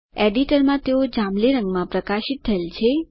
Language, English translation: Gujarati, Variables are highlighted in purple color